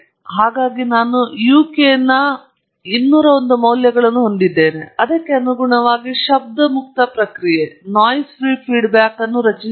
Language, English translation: Kannada, So, I have 201 values of uk, and correspondingly I will generate the noise free response